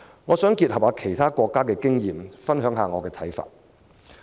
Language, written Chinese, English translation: Cantonese, 我想結合其他國家的經驗，分享一下我的看法。, I wish to sum up the experience of other countries and share with Members my views